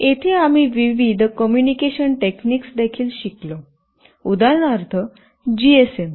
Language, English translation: Marathi, Here we also learnt about various communication techniques, GSM for instance